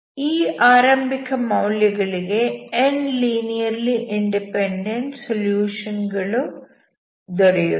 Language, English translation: Kannada, So you have n linearly independent solutions